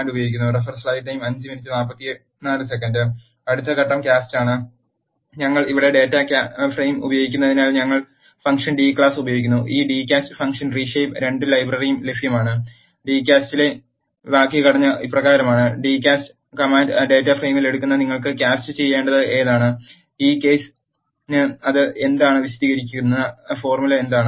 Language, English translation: Malayalam, Next step is the cast, since we are using data frame here, we use the function d cast this d cast function is also available in reshape 2 library the syntax for d cast is as follows, the d cast command takes in the data frame, which you want to d cast and the formula which will explain for this case what it is